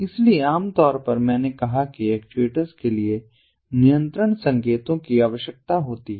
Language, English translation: Hindi, so typically so i said that control signals are required for the actuators